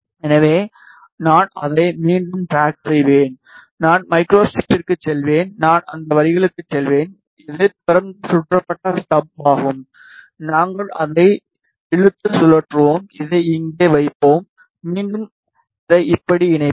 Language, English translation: Tamil, So, I will again drag it, I will go to microstrip, I will go to lines, this is the open circuited stub, we will drag it, rotate and we will place it here, ok and again I will connect it like this